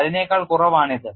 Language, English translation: Malayalam, It is lower than that